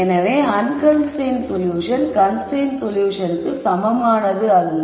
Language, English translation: Tamil, So, the unconstrained solution is not the same as the constrained solution